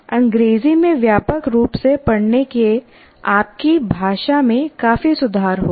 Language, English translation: Hindi, Reading widely in English will greatly improve your language